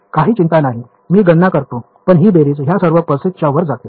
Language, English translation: Marathi, No problem I calculate this, but this summation goes over all the pulses